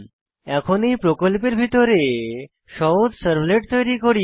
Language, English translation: Bengali, Let us now create a simple servlet inside this project